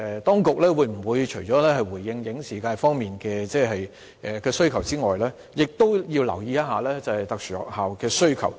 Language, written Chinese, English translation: Cantonese, 當局除了回應影視界方面的需求，其實也要留意特殊學校的需求。, In fact apart from addressing the needs of the film and television industries the authorities should also address the needs of special schools